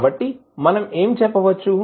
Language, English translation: Telugu, So, what we can say